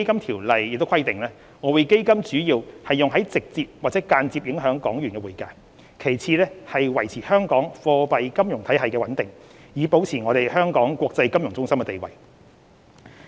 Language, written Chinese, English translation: Cantonese, 《條例》亦規定，外匯基金主要用於直接或間接影響港元的匯價，其次是維持香港貨幣金融體系的穩定，以保持香港國際金融中心的地位。, It is also stipulated in the Ordinance that EF is used primarily for the purpose of affecting either directly or indirectly the exchange value of the Hong Kong dollar . It also has a secondary purpose of maintaining the stability of Hong Kongs monetary and financial systems with a view to maintaining Hong Kong as an international financial centre